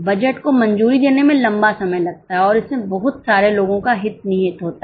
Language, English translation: Hindi, It takes a long time to approve the budget and there may be a lot of people having wasted interests